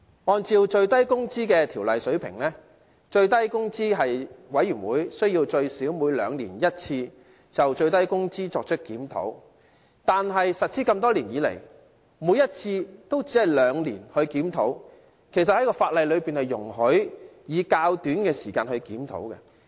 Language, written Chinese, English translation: Cantonese, 按照《最低工資條例》的規定，最低工資委員會須最少每兩年一次就最低工資作出檢討，但實施多年以來，每次都只是兩年檢討一次，而其實法例容許在較短時間就進行檢討。, Under the Minimum Wage Ordinance the Minimum Wage Commission reviews the SMW rate at least once every two years . However after years of implementation reviews were conducted only every two years although the law allows a review within a shorter time period